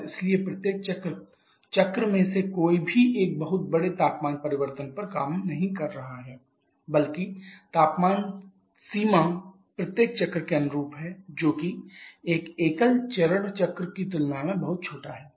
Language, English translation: Hindi, And therefore each of the cycle none of the cycles are operating over a very large temperature change rather the temperature range correspond each of the cycles are much smaller compared to an equivalent single phase cycle